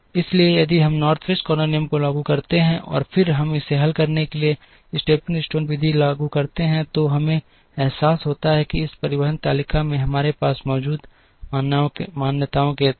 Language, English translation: Hindi, So, if we apply the North West corner rule and then, we apply the stepping stone method to solve it, we realise that under the assumptions that we have in this transportation table